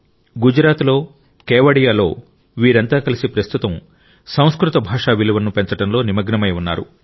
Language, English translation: Telugu, All of them together in Gujarat, in Kevadiya are currently engaged in enhancing respect for the Sanskrit language